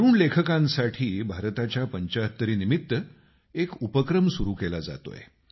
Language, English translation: Marathi, An initiative has been taken for Young Writers for the purpose of India SeventyFive